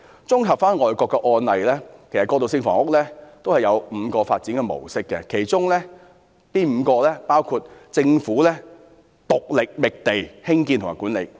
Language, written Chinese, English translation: Cantonese, 綜合外國的案例，其實過渡性房屋有5個發展模式，其中包括，第一政府獨力覓地、興建及管理。, Overall speaking there are five different models for transitional housing development in foreign countries . First the Government alone takes up the responsibility to find land construct and manage the units